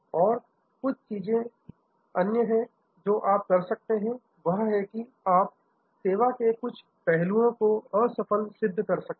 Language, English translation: Hindi, And the other few things you can do is that, you can make certain aspects of the service fail prove